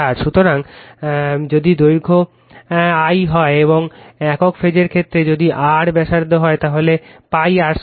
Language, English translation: Bengali, So, if length is l and the single phase case if r is the radius, so pi r square l right